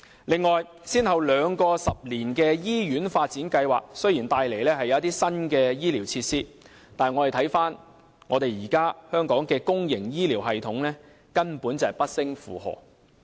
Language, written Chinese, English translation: Cantonese, 此外，雖然先後兩個十年醫院發展計劃帶來一些新的醫療設施，但觀乎現時香港的公營醫療系統，根本不勝負荷。, Moreover although the two successive ten - year hospital development plans will bring about some new health care facilities the current public health care system is simply overloaded